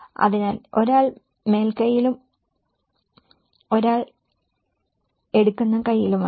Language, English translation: Malayalam, So, one is on upper hand and one is on the taking hand